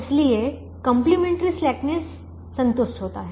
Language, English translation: Hindi, therefore the complimentary slackness is satisfied